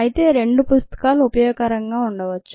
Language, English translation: Telugu, however, two books may be useful